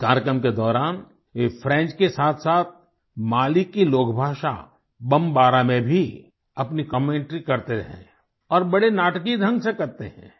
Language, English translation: Hindi, During the course of this program, he renders his commentary in French as well as in Mali's lingua franca known as Bombara, and does it in quite a dramatic fashion